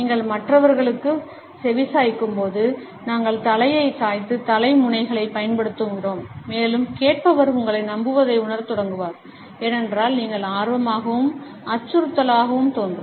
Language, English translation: Tamil, When you listen to the others then we use the head tilts and head nods and the listener will begin to feel trusting towards you, because you would appear as interested as well as non threatening